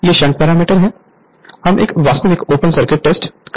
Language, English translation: Hindi, These are shunt parameters right we will perform actually open circuit test